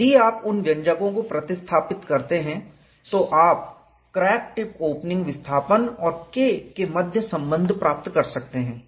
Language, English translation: Hindi, If you substitute those expressions, you can find the relationship between the crack tip opening displacement and K